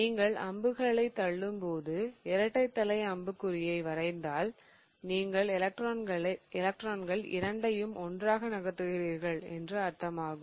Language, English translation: Tamil, Remember when you are pushing arrows if you draw a double headed arrow meaning you are moving both the electrons together